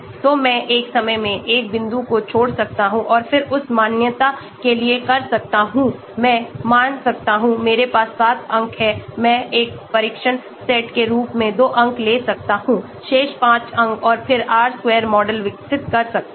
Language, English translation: Hindi, So I can leave one point at a time and then do for the validation I can take suppose, I have 7 points I may take 2 points as a test set, remaining 5 points and then develop R square model